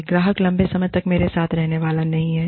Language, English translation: Hindi, This customer is not going to be with me, for long term